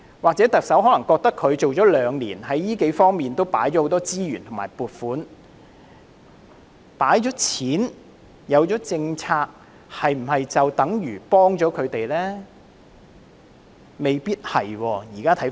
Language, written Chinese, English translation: Cantonese, 可能特首認為上任兩年，在這數方面已投放很多資源和撥款，但有撥款和政策是否便等於幫助他們呢？, The Chief Executive may think that a lot of resources and funding have been allocated to these respects in the two years since her inauguration . Yet can these funding and policies be equated with actual assistance to them?